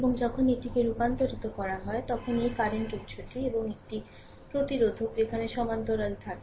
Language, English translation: Bengali, And when you convert this one, I mean this portion, when you convert this one, your this current source and one resistor is there in parallel